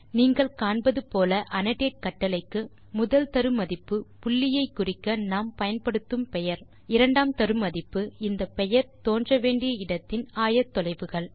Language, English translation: Tamil, As you can see, the first argument to annotate command is the name we would like to mark the point as, and the second argument is the co ordinates of the point at which the name should appear